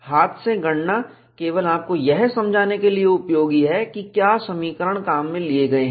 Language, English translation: Hindi, Hand calculations are useful, only for you to understand what equations to use